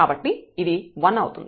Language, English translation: Telugu, So, this will be as 1